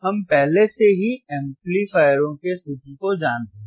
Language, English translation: Hindi, We already know the formula of summing amplifiers